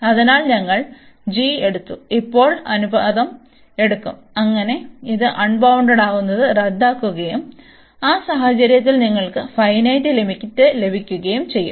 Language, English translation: Malayalam, So, we have taken this g, and now you will take the ratio, so that this which is making it unbounded will cancel out, and you will get some finite limit in that case